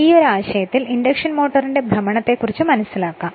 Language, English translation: Malayalam, Now, this is the development of the equivalent circuit of induction motor